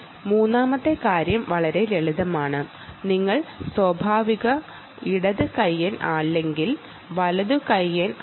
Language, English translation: Malayalam, third thing, very simple: are you a natural left hander or a right hander